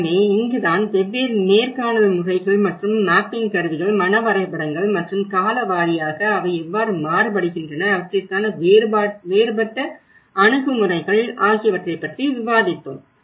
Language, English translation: Tamil, So this is where, we discussed about different methods of interviews and some of the quantitative understanding from the mapping tools, mental maps, and by time wise, how they varied and different approaches